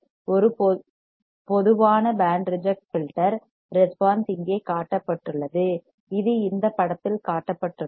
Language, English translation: Tamil, A typical band reject filter response is shown here alright this shown in this figure